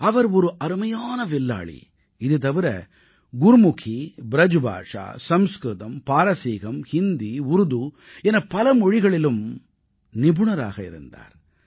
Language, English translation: Tamil, He was an archer, and a pundit of Gurmukhi, BrajBhasha, Sanskrit, Persian, Hindi and Urdu and many other languages